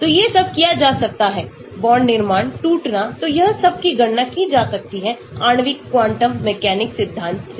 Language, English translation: Hindi, so all these can be done; bond formation, breakage, so all these calculations can be done using molecular quantum mechanic theory